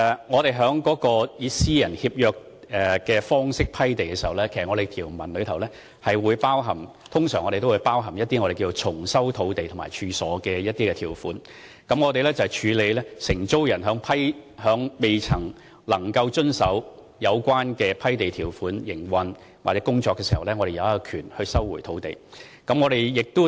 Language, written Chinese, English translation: Cantonese, 我們以私人協約方式批地時，當中的條文通常會包含我們稱為重收土地和處所的條款，當承租人在未能遵守有關批地條款的情況下營運或工作時，政府有權收回土地。, In granting land by a private treaty we usually will include a term on what we call it resumption of site and premise . When a tenant fails to comply with the relevant term of the private treaty but continues to operate its business or carry out its work the Government shall have the right to resume the land